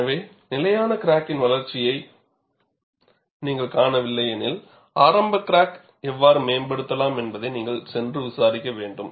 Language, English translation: Tamil, So, if you do not find a stable crack growth, you must go and investigate how you could improve the initial crack